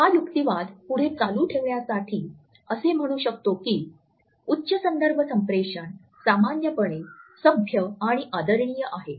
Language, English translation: Marathi, To continue this argument further, we can say that a high context communication is normally polite and respectful